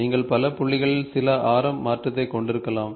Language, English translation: Tamil, You can have some radius change at several points